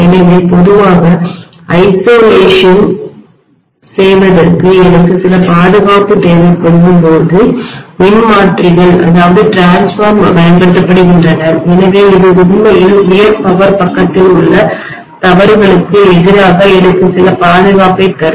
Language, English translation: Tamil, So generally transformers are used for isolation when I require some protection, so this will actually give me some protection against fault in the high power side